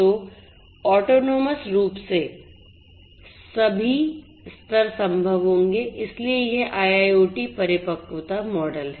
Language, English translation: Hindi, So, all levels of autonomy would be possible so this is this IIoT maturity model